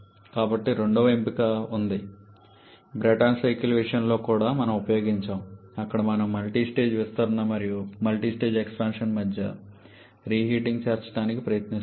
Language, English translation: Telugu, So, there is a second option something that we have used in case of Brayton cycle also where we go for multistage expansion and inclusion of reheating in between the multistage X function